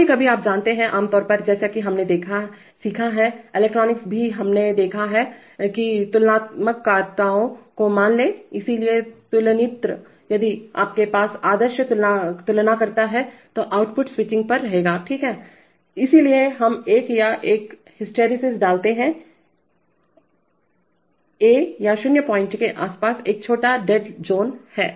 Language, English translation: Hindi, Sometimes, you know, typically as we have learnt, the electronics also we have seen that, suppose comparators, so comparators if you have ideal comparators then the output will keep on switching, right, so therefore we put a we put a either a hysteresis or a, or a small dead zone around the 0 point